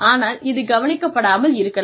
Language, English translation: Tamil, But, that may not be noticed